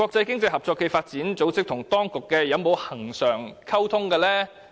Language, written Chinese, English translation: Cantonese, 經合組織與當局有否恆常溝通？, Has the Administration been keeping regular communications with OECD?